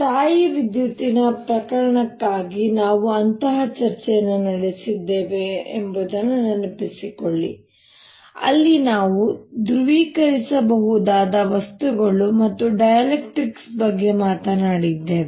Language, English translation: Kannada, recall that we had we have had such a discussion for the electrostatic case, where we talked about polarizable materials and also dielectrics